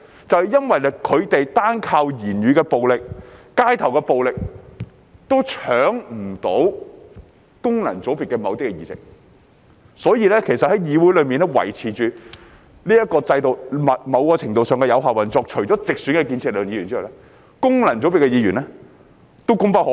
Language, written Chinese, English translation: Cantonese, 正因他們單靠言語暴力和街頭暴力都不能奪去功能界別的某些議席，所以在議會中維持這個制度，某程度上是有效運作，除建設力量的直選議員之外，功能界別的議員也功不可沒。, Since they cannot seize certain seats in the functional constituencies simply by verbal violence and street violence it is a way of effective operation in some measure to maintain this system in the legislature . Apart from Members in the constructive force returned by direct election contributions made by Members from functional constituencies cannot be overlooked